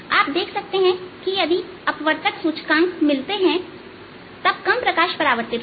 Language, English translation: Hindi, in fact, if the refractive index become equal, then there will be no reflected light